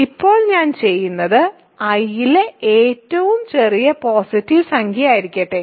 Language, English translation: Malayalam, Now, what I will do is let n be the smallest positive integer in I ok